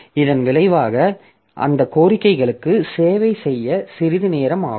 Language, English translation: Tamil, So as a result, it will take some time to service those requests